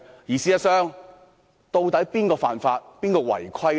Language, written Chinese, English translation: Cantonese, 事實上，現在是誰犯法、違規呢？, In fact who has broken the law and rules?